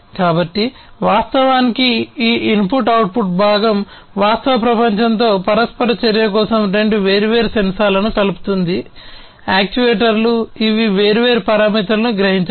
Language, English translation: Telugu, So, this input output component in fact, for the interaction with the real world connects two different sensors, actuators, and which can sense different parameters